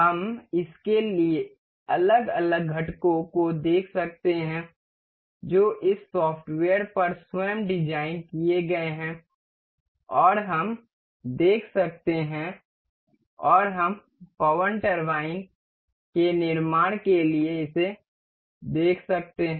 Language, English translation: Hindi, We can see the individual components of this that is designed on this software itself and we can see and we can see the assembly of this to form the wind turbine